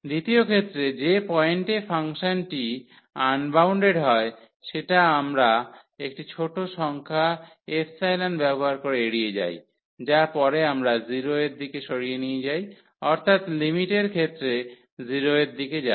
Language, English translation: Bengali, In the second case at the point where the function is unbounded that we have to avoid by introducing a small number epsilon which later on we will move to 0 will go to 0 in the limiting scenario